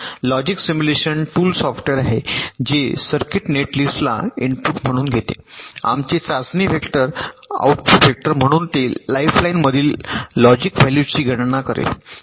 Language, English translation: Marathi, logic simulation tool is a software that takes a circuit netlist as a input and our test vector as a output